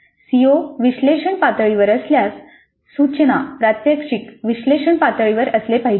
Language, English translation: Marathi, If the COE is at analyze level, the instruction, the demonstration must be at the analyzed level